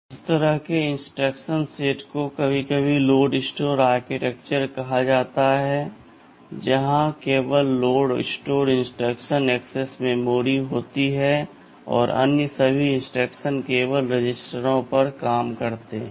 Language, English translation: Hindi, Thisese kind of instruction set is sometimes called load store architecture, that where only load and store instructions access memory and all other instructions they work only on the registers right